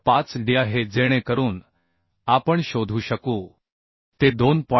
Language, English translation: Marathi, 5d so we can find out it will be 2